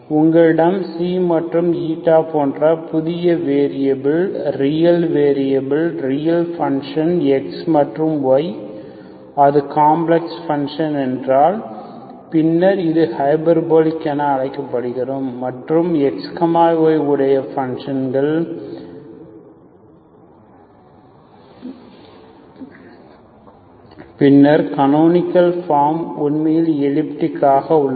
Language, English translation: Tamil, If you are variables xi and Eta, new variables are real variables, real functions of x and y, then it is called hyperbolic, if it is complex functions, xi and Eta are complex functions of x and y, then it is called, then the canonical form is actually elliptic